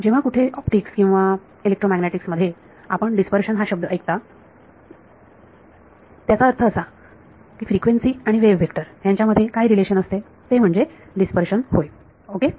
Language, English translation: Marathi, Wherever in optics or electromagnetics you here the word dispersion it means what is the relation between frequency and wave vector that is what is meant by dispersion ok